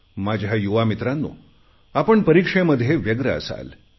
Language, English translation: Marathi, Some of my young friends must be busy with their examinations